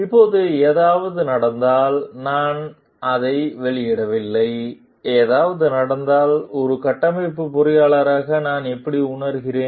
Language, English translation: Tamil, Now, if something happens like, I do not disclose it and if something happens; how do I feel as a structural engineer